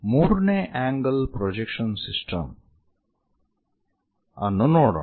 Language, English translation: Kannada, Let us look at third angle projection system